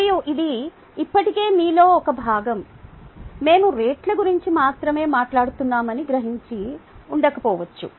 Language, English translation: Telugu, you may not have been have even realized that we are talking only about rates